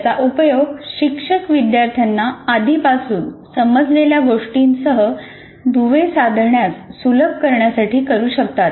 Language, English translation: Marathi, It can be used by a teacher, by the teacher to facilitate the students to make links with what students already understood